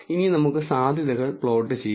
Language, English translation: Malayalam, Now, let us plot the probabilities